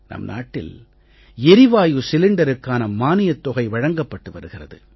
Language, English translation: Tamil, In our country, we give subsidy for the gas cylinders